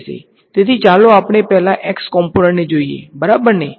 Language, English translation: Gujarati, So, let us just look at the x component first ok